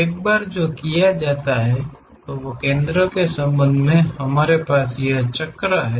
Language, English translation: Hindi, Once that is done, with respect to center we have this circle